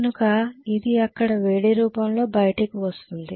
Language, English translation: Telugu, So it will be dissipated in the form of heat there